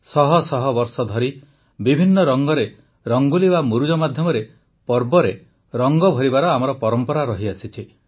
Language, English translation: Odia, For centuries, we have had a tradition of lending colours to festivals through Rangoli